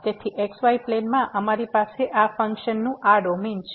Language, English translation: Gujarati, So, in the plane, we have this domain of this function